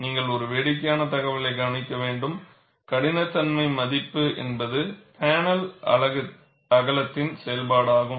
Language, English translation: Tamil, And you have to note a funny information, the toughness value is also a function of panel width